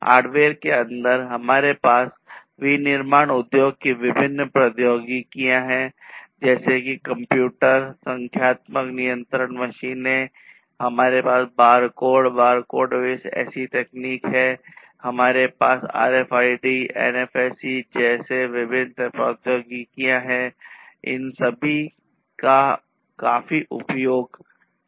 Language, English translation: Hindi, Within hardware we have different technologies in the manufacturing industries such as the computer numeric control machines, we have the barcodes, barcode base technology barcode, we have different technologies such as RFID, NFC all of these are quite, you know, used quite widely and these are the technologies that have also contributed to the overall advancement of the manufacturing industries and like this actually there are many others also